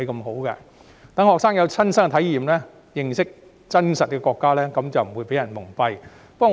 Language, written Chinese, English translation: Cantonese, 學生有了親身體驗，認識國家的真實情況，便不會被人蒙蔽。, After gaining first - hand experience and understanding the genuine situation of the country students will not be deceived by others anymore